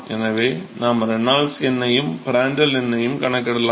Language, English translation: Tamil, So, we can calculate the Reynolds number and Prandtl number